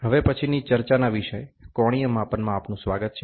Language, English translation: Gujarati, Welcome to the next topic of discussion which is on Angular Measurement